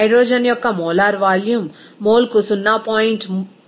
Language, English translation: Telugu, The molar volume of the hydrogen is 0